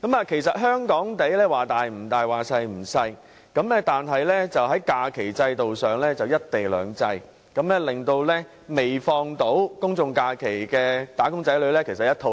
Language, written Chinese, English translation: Cantonese, 其實，香港面積不算大亦不算小，但在假期制度上卻實行"一地兩制"，令未能享有公眾假期的"打工仔女"滿腹牢騷。, As a matter of fact in Hong Kong which is not big but not so small either there are two systems of holidays . Wage earners who cannot enjoy general holidays are full of grievances